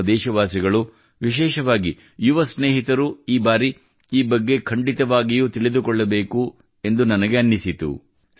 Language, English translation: Kannada, I felt that our countrymen and especially our young friends must know about this